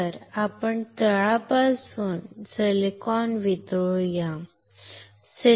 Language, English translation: Marathi, So, let us go from the bottom silicon melt